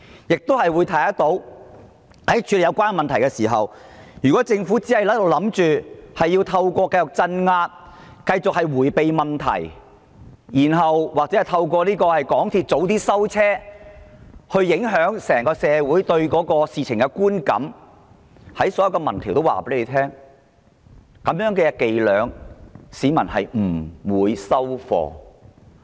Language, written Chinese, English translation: Cantonese, 由此可見，在處理有關問題時，如果政府以為可繼續透過鎮壓、迴避問題或港鐵提早關閉，左右整體社會對是次事件的觀感，所有民調的結果都已顯示，市民不會接受這種伎倆。, It can thus be seen that when tackling the problem concerned the Government may think that it can continue to adopt an evasive attitude through suppression or affect the social perception of the current movement by shortening the operation hours of MTR but the results of various opinion surveys have already revealed that people are not tricked by such tactics